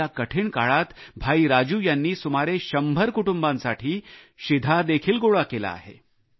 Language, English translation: Marathi, In these difficult times, Brother Raju has arranged for feeding of around a hundred families